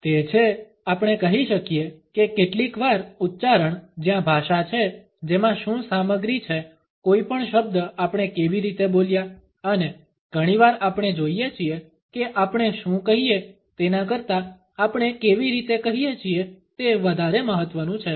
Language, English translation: Gujarati, It is, we can say, the how often utterance where is the language is what of the content it is how we have spoken any word and often we find that how we say is more important then what we say